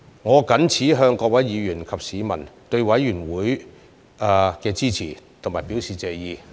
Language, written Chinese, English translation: Cantonese, 我謹此向各位議員及市民對委員會的支持表示謝意。, I appreciate the support of Members of this Council and members of the public for the work of the Committee